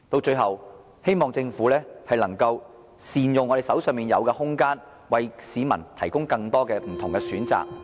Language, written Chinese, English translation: Cantonese, 最後，我希望政府能夠善用現有空間，為市民提供更多不同的選擇。, Lastly I hope the Government can make good use of the existing space to provide more different choices for members of the public